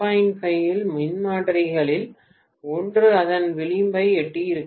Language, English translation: Tamil, 5 itself maybe one of the transformers has reached its brim